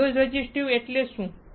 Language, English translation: Gujarati, What is piezo resistive